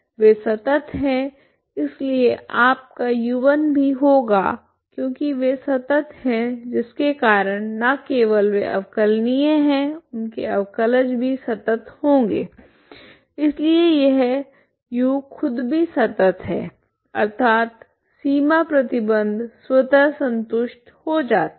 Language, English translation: Hindi, They are continuous so U1 is now because they are continuous not only they are differentiable derivatives are also continuous so it is U is itself is continuous so that means boundary condition is automatically satisfied